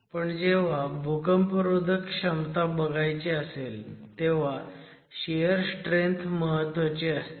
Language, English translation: Marathi, But you know that when we are looking at earthquake assessment, shear strength becomes important